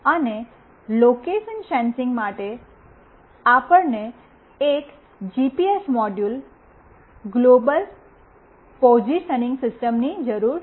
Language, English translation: Gujarati, And for location sensing, we need a GPS module, global positioning system